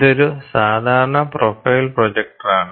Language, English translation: Malayalam, This is a typical profile projector